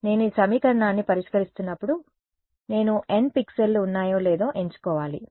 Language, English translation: Telugu, When I am solving this equation, I have to choose let us there are n pixels